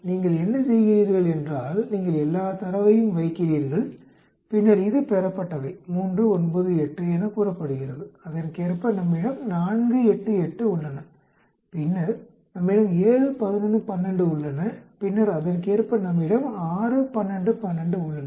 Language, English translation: Tamil, You put in all the data and then this is observed say 3, 9, 8 correspondingly we have 4, 8, 8, then we have a 7, 11, 12 then correspondingly we have 6, 12, 12